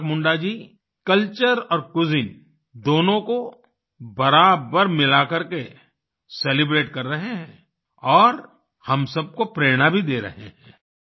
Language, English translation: Hindi, Isaak Munda ji is celebrating by blending culture and cuisine equally and inspiring us too